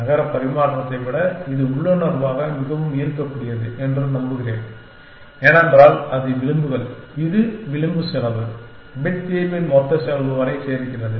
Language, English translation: Tamil, I hope it is intuitively more appealing than the city exchange because, it is the edges it is the edge cost, bit adds up to the total cost of the solution